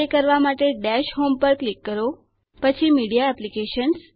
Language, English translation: Gujarati, To do this click on Dash home, Media Applications